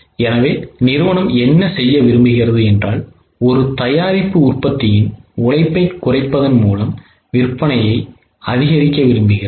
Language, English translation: Tamil, So, what company wants to do is wanting to increase the sale of one product by cutting down the labor of other product